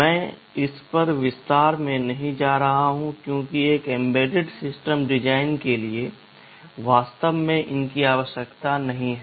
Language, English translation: Hindi, I am not going into detail of this because for an embedded system design, these are not really required